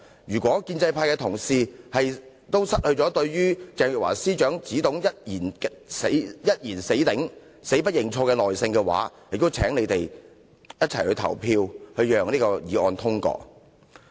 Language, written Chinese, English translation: Cantonese, 如果建制派同事對於鄭若驊司長只懂"一言死頂，死不認錯"也已失去耐性，便請他們一起投票通過這項議案。, If even colleagues of the pro - establishment camp have lost patience in Teresa CHENGs firm stance of not admitting any wrongdoing they should join us and vote in favour of this motion